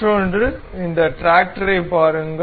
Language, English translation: Tamil, Another, take a look at this tractor